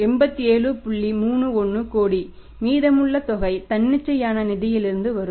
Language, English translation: Tamil, 31 crore remaining amount will come from the spontaneous finance